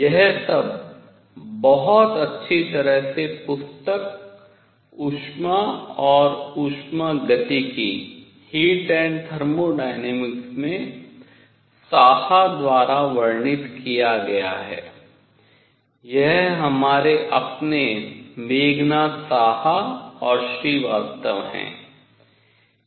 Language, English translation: Hindi, All this is very nicely described in book by book on Heat and Thermodynamics by Saha; this is our own Meghanath Saha and Srivastava